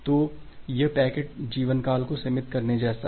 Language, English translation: Hindi, So, that is just like the restricting the packet life time